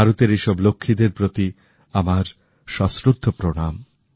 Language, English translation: Bengali, I respectfully salute all the Lakshmis of India